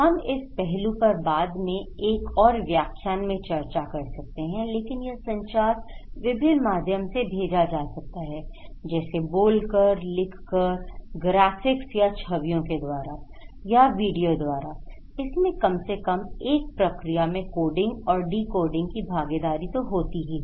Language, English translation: Hindi, We can discuss this aspect, in later on another lecture but it should be sent through speaking, writing, graphics, videos through different channels right at least one and in this process there is a involvement of coding and decoding